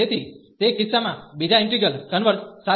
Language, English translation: Gujarati, So, in that case with the second integral converges